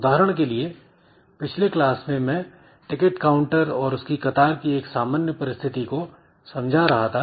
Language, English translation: Hindi, A typical situation that I was explaining in the last class is that a ticketing counter and there may be a queue